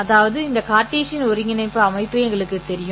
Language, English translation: Tamil, A simple example of this would be to go back to our Cartesian coordinate system